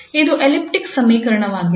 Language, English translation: Kannada, So this is an elliptic equation